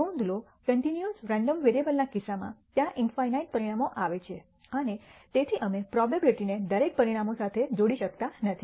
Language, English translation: Gujarati, Notice, in the case of a continuous random variable, there are infinity of outcomes and therefore, we cannot associate a probability with every outcome